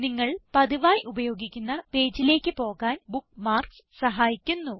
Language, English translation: Malayalam, Bookmarks help you navigate to pages that you use often